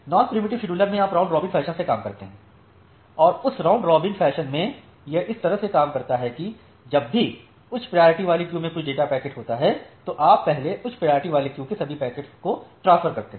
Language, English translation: Hindi, Now, here the scheduler can be a preemptive scheduler on a non preemptive scheduler in case of non preemptive scheduler you work in a round robin fashion and in that round robin fashion it works in this way that, whenever there is some data packet in the high priority queue you first transfer all the packets of high priority queue